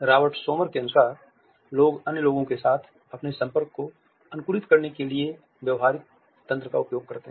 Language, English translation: Hindi, So, there are behavioral mechanisms according to Robert Sommer that people use to optimize their contact with other people